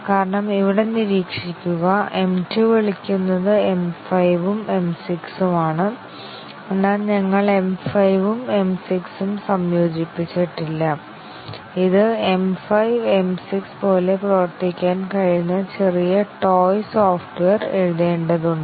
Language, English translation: Malayalam, Because observe here M 2 is calling M 5 and M 6, but we were not integrated M 5 and M 6 we need to write small toy software which will act like M 5 and M 6 very simplistic software not really providing all the functionality of M 5 and M 6